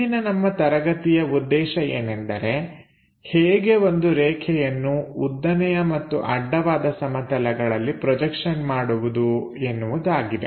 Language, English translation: Kannada, Objective of today's lecture is how to draw projection of a line on a vertical plane and horizontal plane